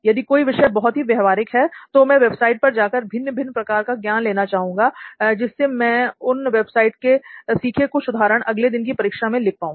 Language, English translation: Hindi, Or for something which is very practical, I prefer going on websites and getting different knowledge from it so that I could give some examples which I have learned from those websites and then put it on my exam the next day